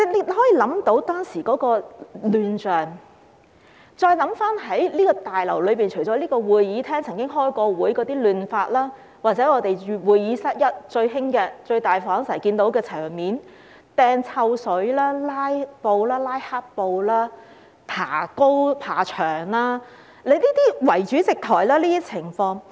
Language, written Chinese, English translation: Cantonese, 大家可以想象當時的亂象，在這個大樓內，除了會議廳開會時出現的混亂，還有會議室 1， 即最大的會議室，最常看到的場面包括擲臭水、拉黑布、爬高、圍主席台等情況。, You can imagine the chaos in this Complex . During meetings not only in the Chamber but also in Conference Room 1 the largest conference room we have observed the most common scenes including hurling stink bombs holding black cloth climbing up and surrounding the Presidents podium